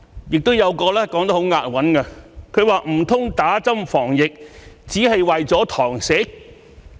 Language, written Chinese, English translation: Cantonese, "亦有一個說得很押韻的，他說："唔通打針防疫，只係為咗堂食？, Another one putting it in rhyme said Could it be that we get a shot of vaccine just to be able to dine in?